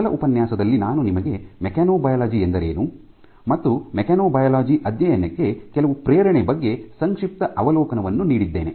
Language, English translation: Kannada, So, in the last lecture I gave you a brief overview as what is mechanobiology and some motivation for studying mechanobiology